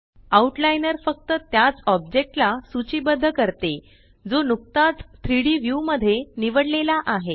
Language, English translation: Marathi, The Outliner lists only that object which is selected in the 3D view